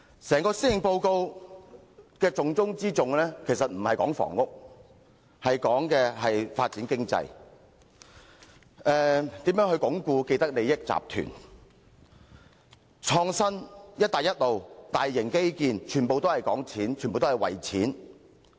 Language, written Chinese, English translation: Cantonese, 整份施政報告的重中之重，並不在於房屋政策，而是在於如何發展經濟、鞏固既得利益集團、創新、"一帶一路"、大型基建，全部講金錢。, What the Policy Address emphasizes most is not the housing policy . Rather its greatest emphases are ways of driving economic development and consolidating groups with vested interest innovation Belt and Road and large infrastructural projects . All these are about making money